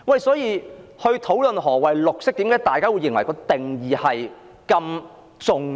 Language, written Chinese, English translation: Cantonese, 所以，在討論何謂綠色時，大家為何認為綠色的定義很重要？, Therefore when discussing the meaning of green why do we consider the definition of green important?